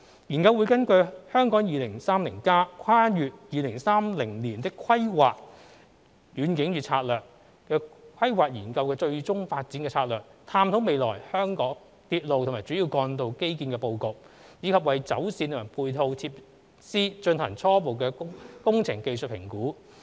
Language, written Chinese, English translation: Cantonese, 研究會根據《香港 2030+： 跨越2030年的規劃遠景與策略》規劃研究的最終發展策略，探討未來香港鐵路及主要幹道基建的布局，以及為走線和配套設施進行初步工程技術評估。, Based on the final development strategy of the Hong Kong 2030 Towards a Planning Vision and Strategy Transcending 2030 planning study the study will explore the future layout of Hong Kongs railway and major road infrastructure and conduct preliminary engineering and technical assessments for their alignments and supporting facilities